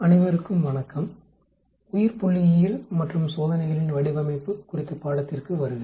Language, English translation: Tamil, Welcome to the course on Biostatistics and Design of Experiments